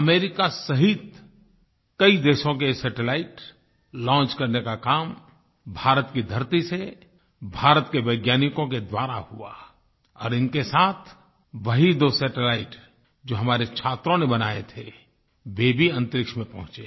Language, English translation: Hindi, Along with America, the satellites of many other countries were launched on Indian soil by Indian scientists and along with these, those two satellites made by our students also reached outer space